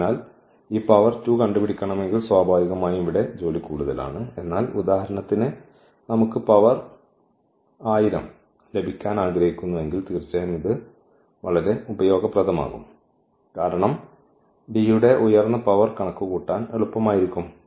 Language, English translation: Malayalam, So, here naturally the work is more if we just want to find out this power 2, but in case for example, we want to power to get the power 1000 then definitely this will be very very useful because D power higher power would be easier to compute